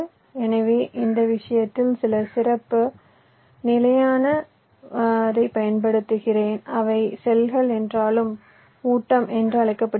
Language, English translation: Tamil, so what i do in this case is that i used some special standard cells, which are called feed though cells